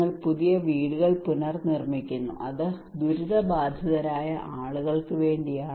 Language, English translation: Malayalam, You are reconstructing new houses it is for the people who are affected by a disaster